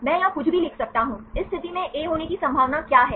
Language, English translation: Hindi, I can write anything here, what is the probability of having A in this position